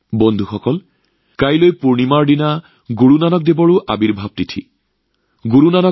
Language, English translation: Assamese, Friends, tomorrow, on the day of the full moon, is also the Prakash Parv of Guru Nanak DevJi